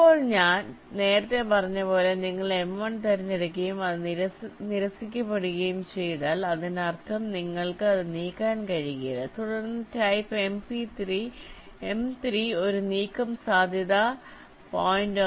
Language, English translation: Malayalam, now, as i said earlier that if you select m one and if it is rejected that means you cannot move it, then a move of type m three is done with probability point one, ten percent probability